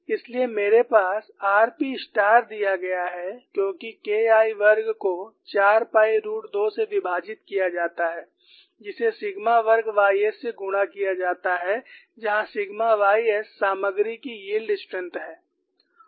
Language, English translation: Hindi, So, I have r p star is given as K 1 square divide by 4 pi root 2 multiplied by sigma squared y s, where sigma y s is the yield strength of the material and I want you to write down this expression